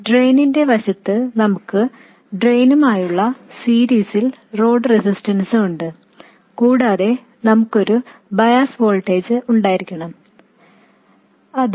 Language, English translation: Malayalam, And on the drain side we have the load resistance in series with the drain and we have to have a bias voltage which is VDS 0 plus the operating point current times RL